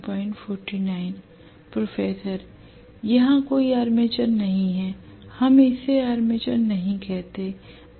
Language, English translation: Hindi, There is no armature, we never call this as armature